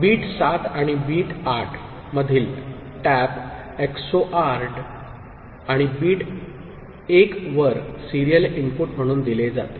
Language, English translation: Marathi, Tap from bit 7 and 8 are XORed and fed as serial input to bit 1